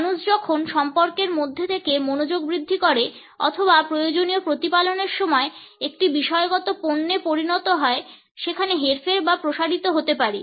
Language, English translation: Bengali, When people are relationships to mount attention or required nurture time becomes a subjective commodity there can be manipulated or stretched